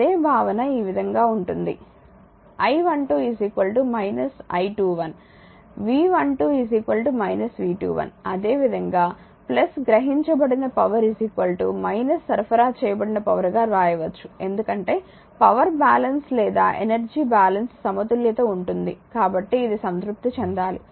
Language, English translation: Telugu, Same concept like your the way it will be the I 1 2 is equal to minus I 2 1, V 1 2 is equal to minus your V 2 1 similar way you can write plus power absorbed is equal to minus power supplied because power balance or energy balance equals to now this has to be satisfied